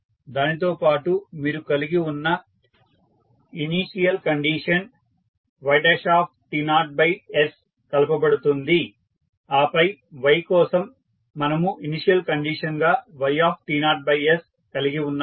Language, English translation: Telugu, And, plus the initial condition you have for y1 t naught by s and then for y we have yt naught by s as a initial condition